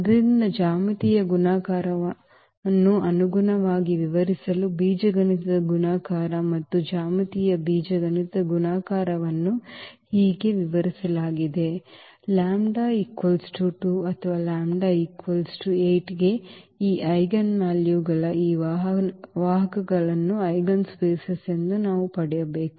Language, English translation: Kannada, So, this is how the algebraic multiplicity and the geometric algebraic multiplicity is defined to define the geometric multiplicity corresponding; to lambda is equal to 2 or lambda is equal to 8, we need to get the eigenspace of these vectors of these eigenvalues